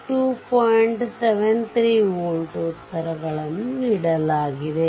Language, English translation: Kannada, 73 volt, answers are given